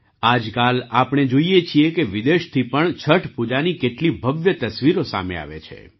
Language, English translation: Gujarati, Nowadays we see, how many grand pictures of Chhath Puja come from abroad too